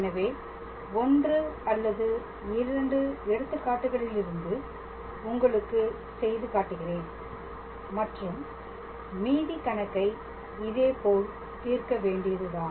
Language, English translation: Tamil, So, I did try to show you 1 or 2 examples and the rest of the problems can be solved in the similar fashion